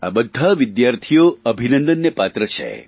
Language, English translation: Gujarati, All these students deserve hearty congratulations